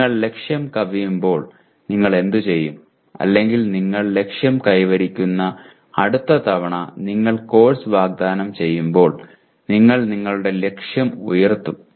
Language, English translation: Malayalam, When you exceed the target, what you do or you meet the target then what you do next time you offer the course, you raise your target